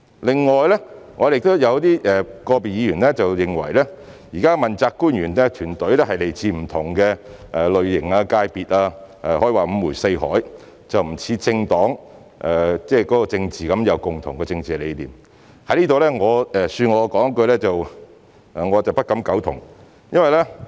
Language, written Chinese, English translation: Cantonese, 另外，有個別議員認為現時的問責官員團隊來自不同類型、界別，可以說是五湖四海，與政黨成員有共同政治理念不同，恕我在此說我不敢苟同。, Some Members think that current politically accountable officials are of different types and come from different sectors and all over Hong Kong contrary to members of political parties who share the same political ideologies . I must say I do not agree